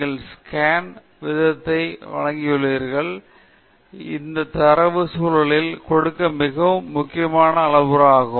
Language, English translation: Tamil, And you are also given the scan rate, which is a very important parameter to give in the context of this data